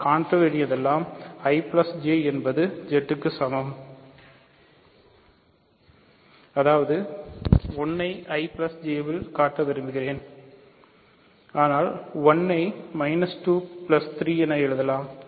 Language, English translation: Tamil, So, all we need to show we want to show I plus J is equal to Z; that means, I want to show 1 is in I plus Z, but then 1 can be written as minus 2 plus 3